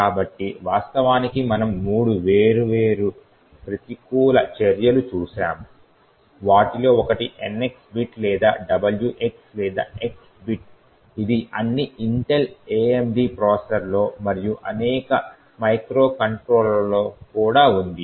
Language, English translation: Telugu, So, in fact we had looked at three different countermeasures one is the NX bit or the WX or X bit which is present in all Intel AMD processors as well as many of the microcontrollers as well